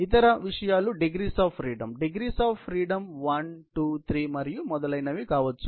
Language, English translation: Telugu, The other issues; the degrees of freedom; the degrees of freedom can be 1, 2, 3 and so on